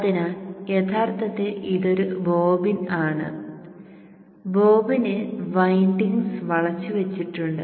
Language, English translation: Malayalam, So actually this is a bobbin and on the bobbin the windings are wound